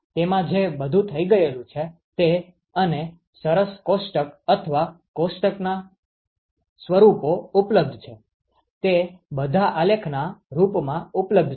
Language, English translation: Gujarati, It has all it has all been worked out and nice table or tabular forms are available, they are all available in terms of graph